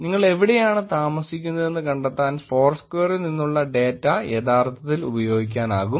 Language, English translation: Malayalam, Data from Foursquare can be actually used to find out where you live